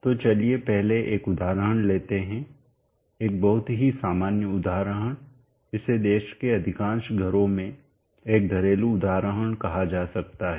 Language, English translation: Hindi, So let us first take an example a very common example this can be considered as a household example in most of the homes in the country